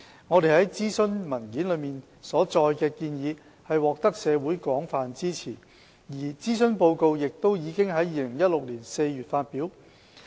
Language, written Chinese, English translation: Cantonese, 我們在諮詢文件中所載的建議獲得社會廣泛支持，而諮詢報告亦已於2016年4月發表。, The community expressed broad support for the proposals set out in the consultation papers and the consultation report was published in April 2016